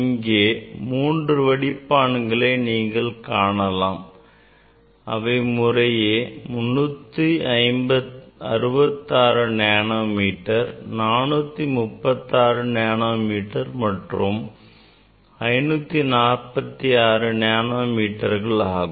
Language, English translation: Tamil, we have five filter; this is the another filter which is having 366 nanometer; and then I have three more, this is 436 nanometer, 546 nanometer